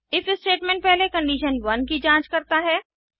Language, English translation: Hindi, If statement initially checks for condition 1